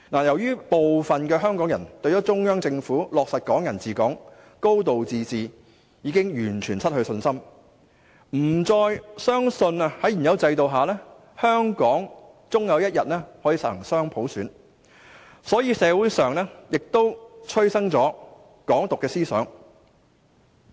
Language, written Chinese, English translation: Cantonese, 由於部分香港人對於中央政府落實"港人治港"、"高度自治"已經完全失去信心，不再相信在現有制度下，香港終有一天能夠實行雙普選，所以社會上衍生出"港獨"思想。, As some people in Hong Kong have completely lost confidence in the Central Government regarding the implementation of Hong Kong people administering Hong Kong and a high degree of autonomy who no longer believe that dual universal suffrage will eventually be implemented in Hong Kong under the existing system there saw the emergence of views in the community calling for independence of Hong Kong